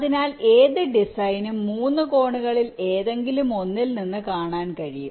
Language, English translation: Malayalam, so any design can be viewed from any one of the three angles